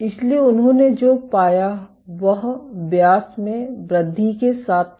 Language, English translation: Hindi, So, what they found was with increase in diameter